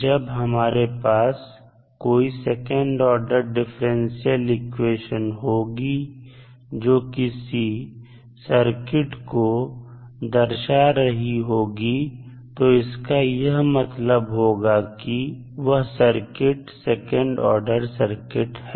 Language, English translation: Hindi, So, when we have second order differential equation which governs that particular circuit that means that circuit can be considered as second order circuit